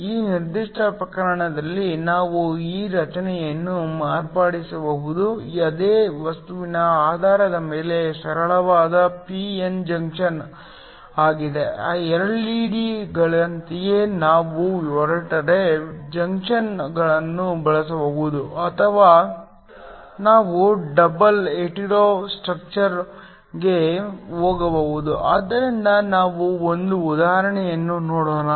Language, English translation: Kannada, We can modify this structure in this particular case it is simple p n junction based upon the same material, just like in the case of LED’s we can use hetero junctions or we can also go for double hetero structure so let us look at an example of that